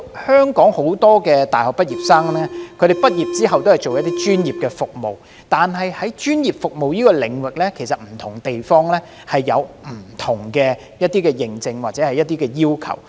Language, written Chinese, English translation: Cantonese, 香港很多大學生畢業後均從事專業服務，但在專業服務的領域上，不同地方其實有不同的認證或要求。, Many undergraduates in Hong Kong will engage in professional services after graduation but different places have different certifications or requirements for professional services